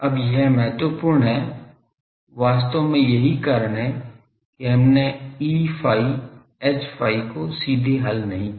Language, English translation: Hindi, Now, this is important, actually that is why we did not solved E theta, H phi directly